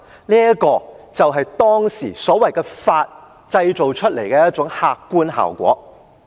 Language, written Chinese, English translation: Cantonese, 這便是當時所謂的"法"所製造出來的客觀效果。, It was the objective consequence of the so - called law drawn up in those days